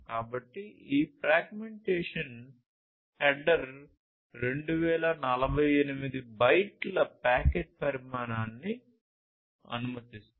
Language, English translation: Telugu, So, this fragmentation header allows 2048 bytes packet size with fragmentation